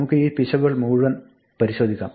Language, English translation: Malayalam, Let us look at all this error